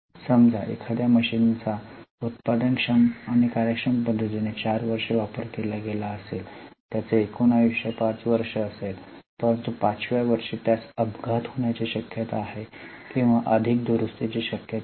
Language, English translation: Marathi, So, suppose if a machine is likely to be used for four years, in a productive and an efficient manner, it may have a total life of five years, but in the fifth year it may face with lot of accidents or possibility of more repairs